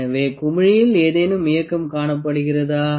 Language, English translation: Tamil, So, do you find any movement in the bubble